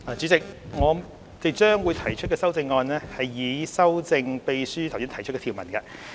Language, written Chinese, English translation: Cantonese, 代理主席，我將會提出修正案，以修正秘書剛讀出的條文。, Deputy Chairman I will propose my amendments to amend the clauses just read out by the Clerk